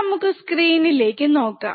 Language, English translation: Malayalam, So, let us see the screen